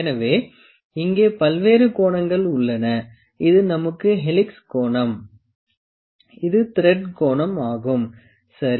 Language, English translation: Tamil, So, we have various angles here this is known as thread angle we have helix angle, this angle is helix angle, ok